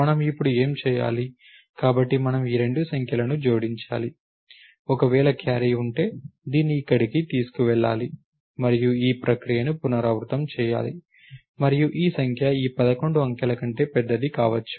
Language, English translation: Telugu, So, what do we have to do now, so we have to add these two numbers, then if there is a carry, then this should be carried over here and so on and repeat this process and maybe the number becomes larger than this 11 digit over here, you have to make that happen